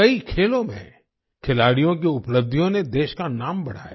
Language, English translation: Hindi, The achievements of players in many other sports added to the glory of the country